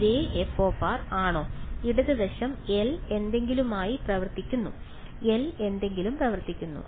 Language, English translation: Malayalam, Is the same f of r f of r what is the left hand side L acting on something; L acting on something right